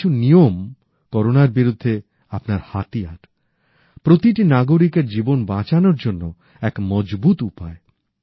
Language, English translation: Bengali, These few rules are the weapons in our fight against Corona, a powerful resource to save the life of every citizen